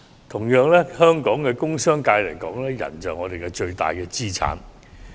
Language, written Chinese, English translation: Cantonese, 同樣地，對香港的工商界而言，人力就是我們的最大資產。, Similarly manpower is the biggest asset for the industrial and business sectors of Hong Kong